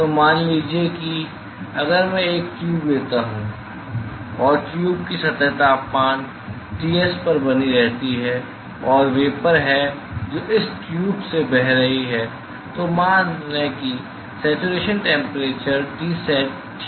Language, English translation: Hindi, So, suppose if I take a tube and the surface of the tube is maintained at temperature Ts and there is vapor which is flowing through this tube at let us say the saturation temperature Tsat ok